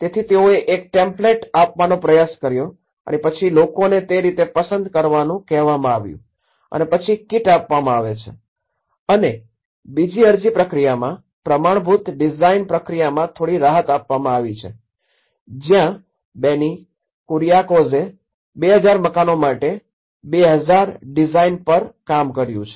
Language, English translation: Gujarati, So, they try to give a template over and then people were asked to choose within that so in that way, the kit is provided and there is a little flexibility adopted in the standardized design process whereas in the second process of application, where Benny Kuriakose have worked on 2,000 designs for 2,000 houses